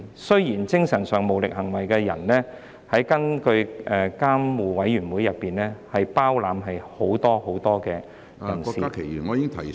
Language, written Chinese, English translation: Cantonese, 雖然"精神上無行為能力的人"，根據監護委員會，是包括很多意思......, Although mentally incapacitated person carries many meanings according to the Guardianship Board